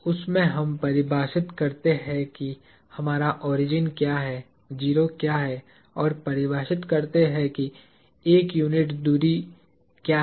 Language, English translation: Hindi, In that, we invoke what is our origin, what is a 0 and define what a unit distance is